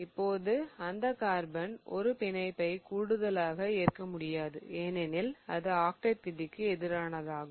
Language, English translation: Tamil, Now that carbon cannot just make one bond extra because it cannot disobey the octate rule